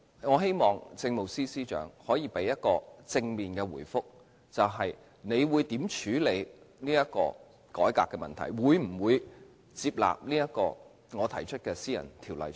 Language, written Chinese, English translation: Cantonese, 我希望政務司司長可以就此給予正面的回覆，他會如何處理這個改革的問題，會否接納我提出的私人條例草案？, I hope the Chief Secretary for Administration can give a positive response in this regard and explain how he will handle the issues concerning this reform and whether the Government will accept my private bill